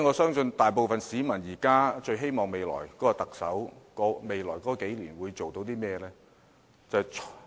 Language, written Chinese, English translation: Cantonese, 現時，大部分市民最希望新任特首在未來數年做些甚麼呢？, At present what are the things that members of the public would like the next Chief Executive to do in the next few years?